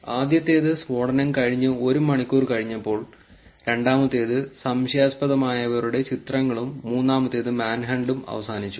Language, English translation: Malayalam, The first one being 1 hour after the blast, the second one being pictures of suspects released and the third one being Man hunt is over